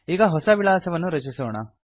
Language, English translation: Kannada, Lets create a new contact